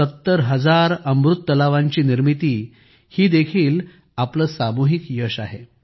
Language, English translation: Marathi, Construction of 70 thousand Amrit Sarovars is also our collective achievement